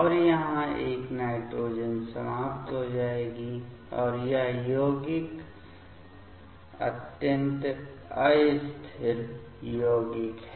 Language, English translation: Hindi, And here this nitrogen will eliminate and this compound is extremely unstable compound